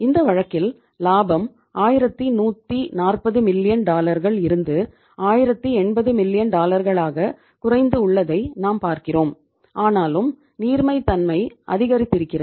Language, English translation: Tamil, We have seen in this case the profit has come down from the 1140 million dollar to 1080 million dollar however this liquidity has improved